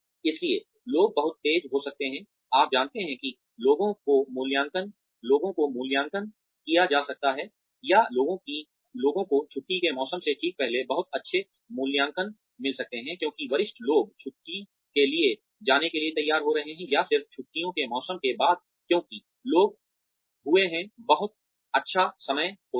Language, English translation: Hindi, So, people may get very fast, you know people may be appraised or people may get very good appraisals, just before the holiday season because the superiors are getting ready to go for a break, or just after the holiday season because people have had a very nice time